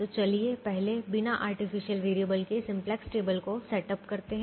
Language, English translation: Hindi, so let us first setup the simplex table without artificial variables